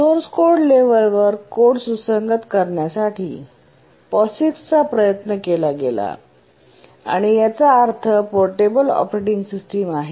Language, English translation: Marathi, To make the code compatible at the source code level, the POGIX was attempted stands for portable operating system